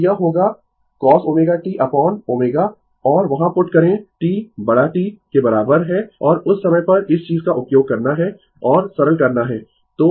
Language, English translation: Hindi, So, it will be minus cos omega t upon omega right and there I put T is equal to T and at that time you have to use this ah this thing and you simplify